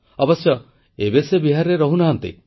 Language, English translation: Odia, In fact, he no longer stays in Bihar